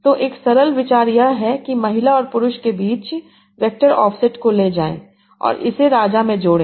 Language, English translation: Hindi, So simple idea is take the vector of set between women and men and add it to king